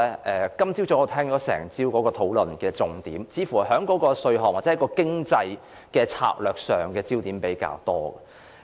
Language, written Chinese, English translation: Cantonese, 我聽了整個早上大家討論的重點，焦點似乎放在稅項或經濟的策略上比較多。, In this mornings debate Members have mostly put their emphasis on the taxation or the economic strategy